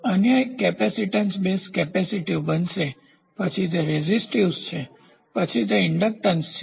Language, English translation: Gujarati, So, the other one is going to be capacitance base capacitive, then it is resistive then it is inductance